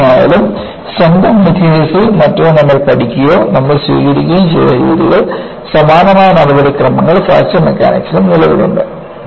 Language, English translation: Malayalam, Whatever, we have learned in strength of materials or whatever, the kind of procedures we adopted, similar procedures exist in the Fracture Mechanics also